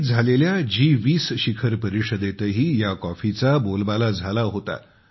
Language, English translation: Marathi, The coffee was also a hit at the G 20 summit held in Delhi